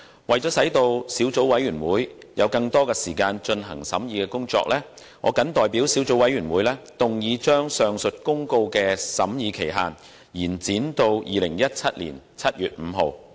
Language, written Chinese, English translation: Cantonese, 為了使小組委員會有更多時間進行審議工作，我謹代表小組委員會，動議將上述公告的審議期限延展至2017年7月5日。, To allow more time for the Subcommittee to conduct the scrutiny work I move on behalf of the Subcommittee that the period for scrutinizing the aforesaid notice be extended to 5 July 2017